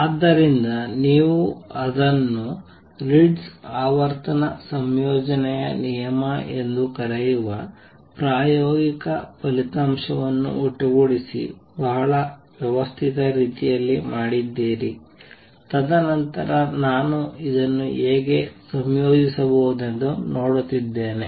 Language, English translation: Kannada, So, you done it very very systematic manner combining an experimental result call they Ritz frequency combination rule, and then really seeing how I could combine this